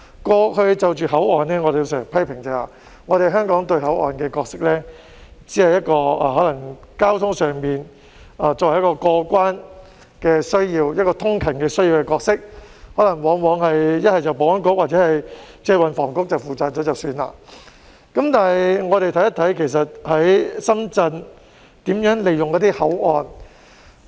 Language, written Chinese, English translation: Cantonese, 過去就着口岸，我們經常批評，香港賦予口岸的角色，只是在交通上滿足過關和通勤的需要，往往不是由保安局負責，便是由運輸及房屋局負責，僅此而已，但我們看一看，深圳是如何利用口岸的呢？, Why? . In the past we often criticized that the role given to the boundary crossings in Hong Kong was just to meet the needs for cross - boundary clearance and commuting within the context of transport and it was usually tasked to the Security Bureau if not the Transport and Housing Bureau and that is it . However let us look at how Shenzhen makes use of the entry and exit ports